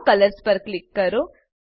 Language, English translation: Gujarati, Click on No colors